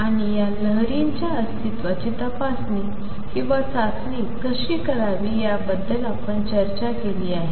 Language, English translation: Marathi, And we have also discussed how to check or test for the existence of these waves